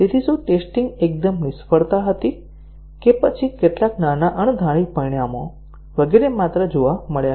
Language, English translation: Gujarati, So, whether the test was an outright failure or whether some minor unexpected results, etcetera were only observed